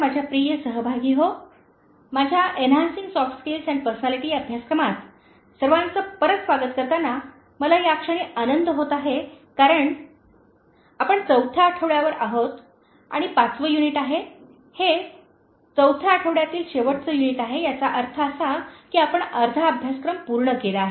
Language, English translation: Marathi, my dear participants, I am very happy to welcome you all back to my course on Enhancing Soft Skills and Personality particularly at this point because, we are on the fourth week and this is the 5th unit, that is the last unit of fourth week, which means you have completed half of the course